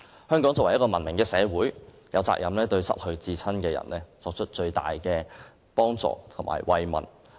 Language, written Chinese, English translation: Cantonese, 香港是一個文明的社會，有責任對失去至親的人作出最大的幫助和慰問。, Hong Kong is a civilized society . The Government should as far as possible give the greatest help and consolation to people who have lost their beloved ones